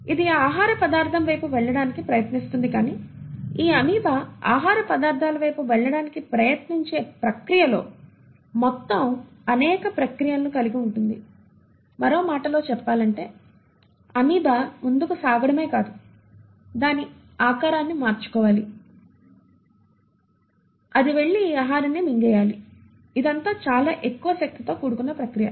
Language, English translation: Telugu, It will try to move towards that food particle but the process of this amoeba trying to move towards food particle involves a whole myriad of processes; in other words not only does the amoeba to move forward, it has to change its shape, it has to go and then engulf this food; now all this is a energy intensive process